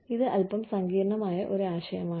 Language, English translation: Malayalam, This is slightly complicated concept